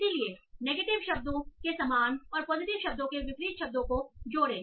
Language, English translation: Hindi, So add synonyms for negative words and an anemnsa positive word